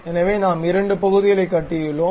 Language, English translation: Tamil, So, we have constructed two parts